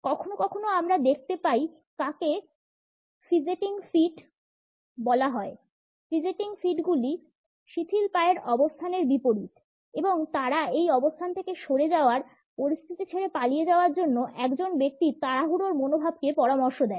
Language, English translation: Bengali, Sometimes we also come across what is known as fidgeting feet; fidgeting feet are opposite of the relaxed feet position and they suggest the hurried attitude of a person to move away from this position, to leave the situation and flee